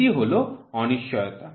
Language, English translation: Bengali, So, this is uncertainty